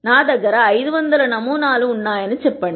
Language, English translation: Telugu, Let us say I have 500 samples